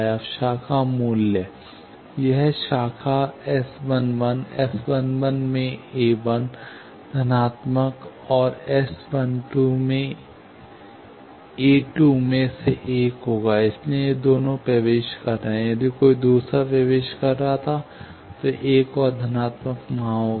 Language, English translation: Hindi, Now, branch value, this branch S 1 1, a 1 into S 1 1, plus a 2 into S 1 2 will be one; so, these two are entering; if another one was entering, another plus would have been there